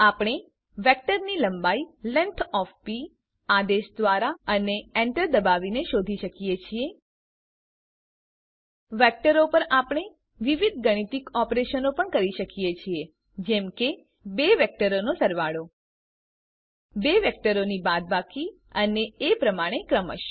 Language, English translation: Gujarati, We can find the length of a vector p by the command length of p and press enter We can perform various mathematical operations on vectors such as Addition of two vectors Substraction of two vectors and so on